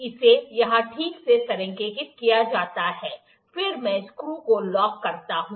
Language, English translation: Hindi, It is aligned properly here then I lock the screw